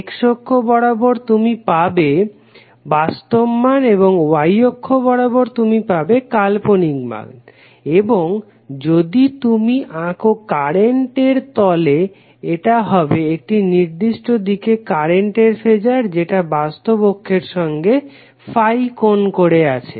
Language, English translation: Bengali, So you will have the x axis you will have real value and the y axis you will have imaginary value and if you plot current so it will be Phasor will be in one particular direction making Phi angle from real axis